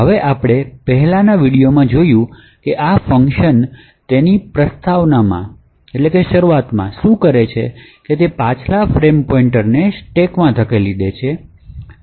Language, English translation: Gujarati, Now as we have seen in the previous video what this function initially does in its preamble is that it pushes into the stack that is the previous frame pointer into the stack